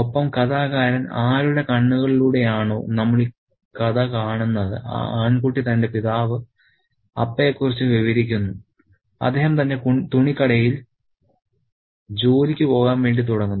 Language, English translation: Malayalam, And the narrator, the boy through whose eyes we see the story describes his father, Appa, who is about to leave for work at his clothes shop